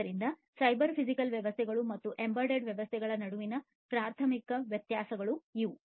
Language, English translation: Kannada, So, these are the differences, primary differences, between cyber physical systems and embedded systems